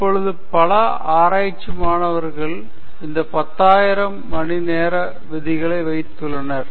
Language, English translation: Tamil, Now, many of you research students, put this 10,000 hour rule